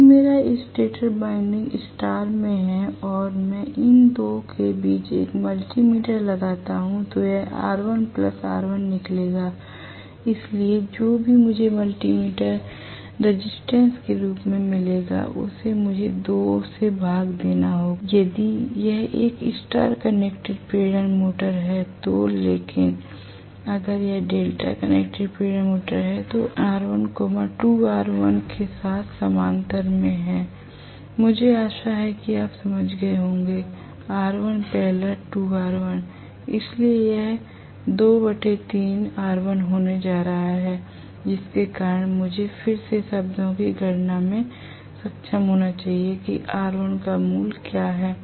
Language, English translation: Hindi, If my stator winding is in star and I put a multi meter between these 2 it will come out to be R1 plus R1, so whatever I get as the multi meter resistance I have to divide that by 2 if it is a star connected induction motor, but if it is delta connected induction motor I will have R1 in parallel with 2 R1 right that is how it will be, I hope you understand